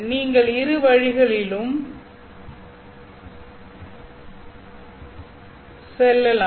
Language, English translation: Tamil, You can go both ways